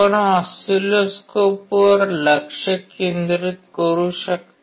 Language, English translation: Marathi, You can focus on the oscilloscope